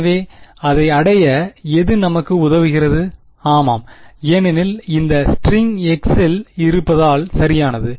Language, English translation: Tamil, So, whatever helps us to achieve that, well yeah because this string is in the x coordinates only right